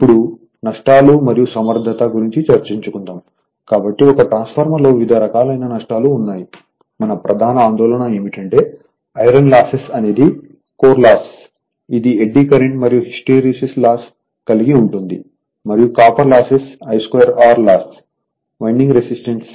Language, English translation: Telugu, Now, Losses and Efficiency; so, in a transformer different types of losses are there, but what we will do actually we will come our main concern will be that iron loss that is core loss that is eddy current and hysteresis are together and the copper loss that is the I square R loss in the winding resistance right